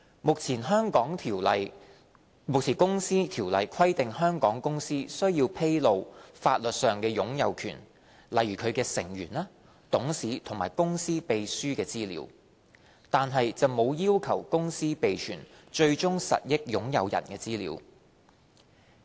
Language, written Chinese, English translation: Cantonese, 目前《公司條例》規定香港公司須披露法律上的擁有權，例如其成員、董事和公司秘書的資料，但沒有要求公司備存最終實益擁有人的資料。, One is the absence of statutory requirements for companies to keep their beneficial ownership information . At present the Companies Ordinance requires Hong Kong companies to disclose their legal ownership such as information on their members directors and company secretaries but does not require companies to keep information on their ultimate beneficial owners